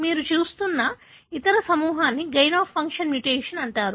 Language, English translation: Telugu, The other group that you are looking at is called the gain of function mutation